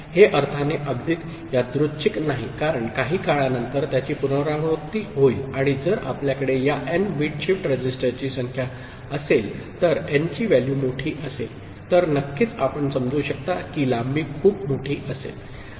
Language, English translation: Marathi, It is not exactly random in the sense because it will repeat after some time and if you have number of these n bit shift register, the value of n is large then of course you can understand that the length will be very large